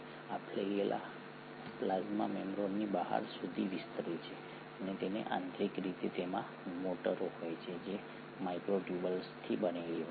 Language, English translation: Gujarati, This flagella extends out of the plasma membrane and internally it consists of motors which are made up of microtubules